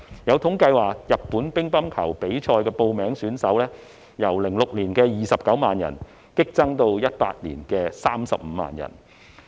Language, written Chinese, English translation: Cantonese, 有統計指出，報名參加日本乒乓球比賽的人數由2006年的29萬人激增至2018年的35萬人。, As revealed by statistics the number of enrollees in Japanese table tennis competitions had surged from 290 000 in 2006 to 350 000 in 2018